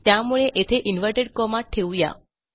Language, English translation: Marathi, So, just keep them as inverted commas